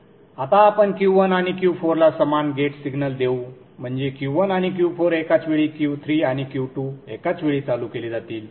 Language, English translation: Marathi, Now what we will do is we will give the same gate signal to Q1 and Q4, meaning Q1 and Q4 are turned on simultaneously